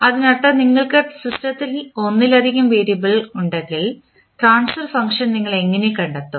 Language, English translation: Malayalam, That means if you have multiple variable in the system, how you will find out the transfer function